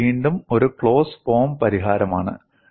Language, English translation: Malayalam, And what is the closed form solution